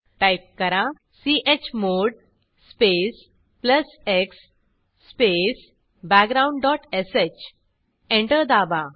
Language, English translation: Marathi, Type chmod space plus x space background dot sh Press Enter